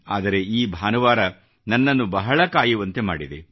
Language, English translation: Kannada, But this Sunday has made one wait endlessly